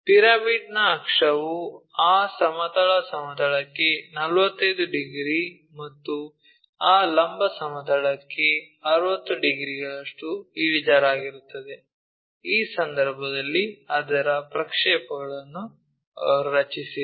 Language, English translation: Kannada, The axis of the pyramid is inclined at 45 degrees to that horizontal plane and 60 degrees to that vertical plane, if that is the case draw its projections, ok